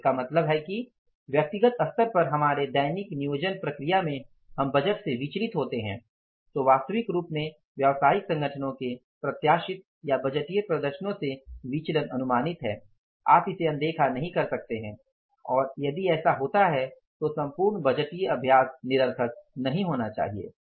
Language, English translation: Hindi, So, it means in our daily same planning process at the personal level if we deviate from the budgeted or the maybe the planned performance in the real form of the business organizations deviations from the anticipated or the budgeted performances all the times anticipated you cannot ignore it and if it happens then the entire budgetary exercise should not become futile so for that we will have to go for the flexible budget